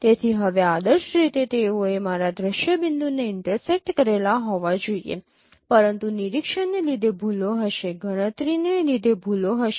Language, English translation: Gujarati, So now the ideally they should have intersected to my sin point but there would be errors due to observation, errors due to computation